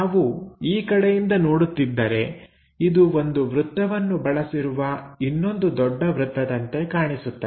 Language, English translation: Kannada, If we are looking from this view, it looks like a circle followed by another big circle